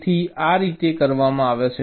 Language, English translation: Gujarati, ok, so this is how it is done